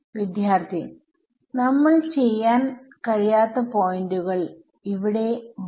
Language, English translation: Malayalam, Sir then there will be points where we cannot do anything